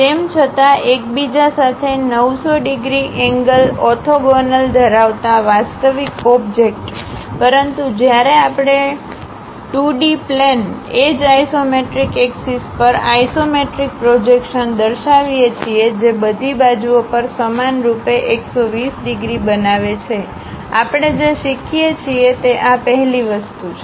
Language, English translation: Gujarati, Though the real object having 90 degrees angle orthogonal to each other; but when we are showing isometric projection on the two dimensional plane, the edges, the axis isometric axis those makes 120 degrees equally on all sides, this is the first thing what we learn